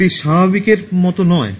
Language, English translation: Bengali, it is not like the normal one